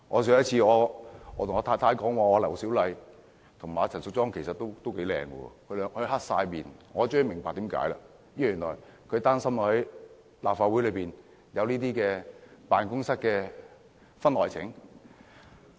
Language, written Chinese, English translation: Cantonese, 有一次跟我太太說，劉小麗議員和陳淑莊議員其實都頗美麗時，她板起了臉孔，我終於明白為甚麼了，原來她擔心立法會內有辦公室的婚外情。, I once told my wife that Dr LAU Siu - lai and Ms Tanya CHAN were actually quite beautiful . When she put on a straight face I eventually understood the reason . She was worried about the occurrence of extramarital affairs in the offices of the Legislative Council